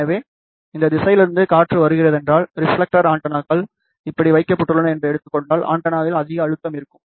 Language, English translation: Tamil, So, if the wind is coming from this direction, and let us say reflector antennas is placed like this, so there will be lot of pressure on the antenna